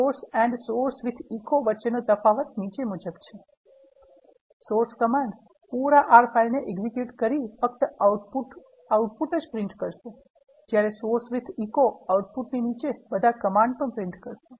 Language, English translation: Gujarati, The difference between source and source with echo is the following: The Source command executes the whole R file and only prints the output, which you wanted to print